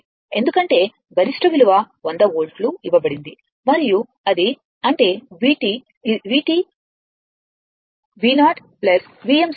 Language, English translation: Telugu, Because, peak value is given 100 volts right and it is; that means, V t is equal to V 0 plus V m sin omega t